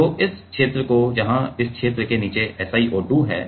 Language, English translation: Hindi, So, this region let us say this region where SiO2 below this region